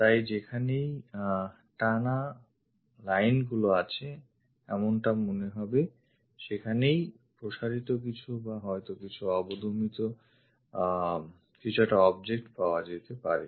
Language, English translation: Bengali, So, wherever continuous lines are there looks like there might be an object like protrusion or perhaps depression might be found